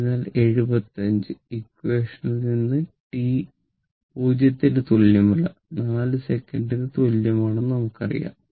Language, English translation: Malayalam, So, from equation 75, we know this no because it was t is equal to not zero t t is equal t t is equal to t 0 that is 4 second